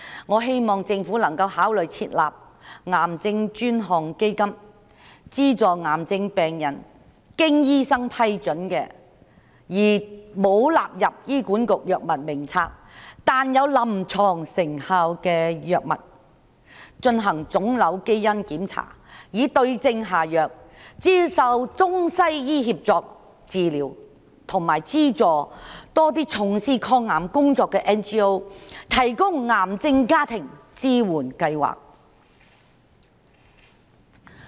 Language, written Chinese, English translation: Cantonese, 我希望政府能夠考慮設立癌症專項基金，資助癌症病人購買經醫生批准而沒有納入醫管局藥物名冊但有臨床成效的藥物，進行腫瘤基因檢查以對症下藥，接受中西醫協作治療，以及資助從事抗癌工作的 NGO 提供癌症家庭支援計劃。, I hope that the Government can consider setting up a special cancer fund to subsidize cancer patients to purchase clinically effective drugs that have been approved by doctors but not included in HAs drug list to carry out tumor genetic testing for prescribing the right medicine to receive Chinese and Western medicine collaborative treatment as well as subsidizing non - governmental organizations engaged in anti - cancer work to run programs supporting the families with cancer patients